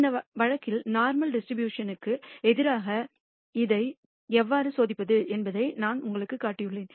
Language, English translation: Tamil, In this case, I have shown you how to test it against the normal distribution